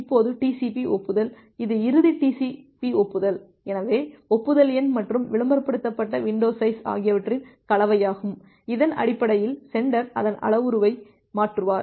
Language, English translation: Tamil, Now TCP acknowledgement; so, the final TCP acknowledgement it is a combination of the acknowledgement number and the advertised window size, based on that the sender will tune its parameter